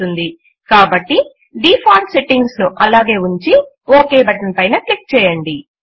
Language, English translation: Telugu, So we keep the default settings and then click on the OK button